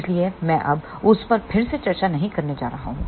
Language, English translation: Hindi, So, I am not going to discuss that again now